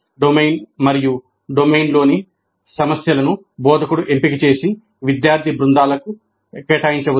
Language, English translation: Telugu, The domain as well as the problem in the domain are selected by the instructor and assigned to student teams